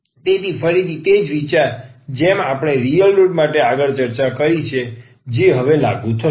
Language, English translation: Gujarati, So, again the same idea like we have discussed further for the real roots that will be applicable now